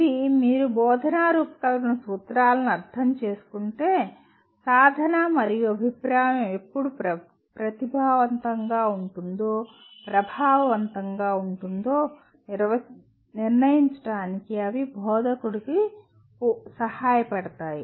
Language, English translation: Telugu, This if you understand the principles of instructional design, they would help instructor to decide when practice and feedback will be most effective